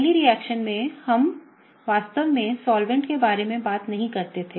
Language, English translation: Hindi, In the first reaction, we did not really talk about the solvent